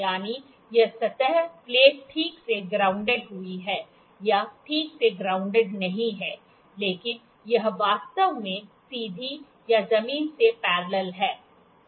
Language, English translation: Hindi, That is, made that made a surface plate is properly grounded or not properly grounded is actually straight or parallel to the ground